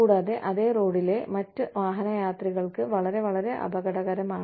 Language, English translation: Malayalam, And, very, very, dangerous for other motorists, on the same road